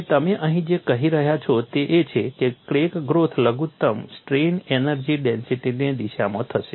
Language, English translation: Gujarati, And what you are saying here is crack growth will occur in the direction of minimum strain energy density